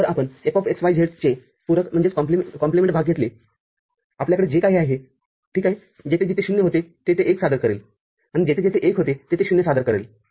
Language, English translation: Marathi, So, if you take complement of F(x, y, z) whatever we had, ok wherever 0 was there, 1 will present; and wherever 1 was there, 0 will present